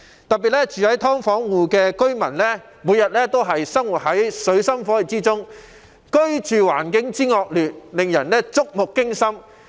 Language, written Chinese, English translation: Cantonese, 特別是，"劏房戶"每天生活在水深火熱之中，居住環境惡劣，令人觸目驚心。, In particular subdivided unit tenants have to live in a dire situation day after day and their appalling living environment is startling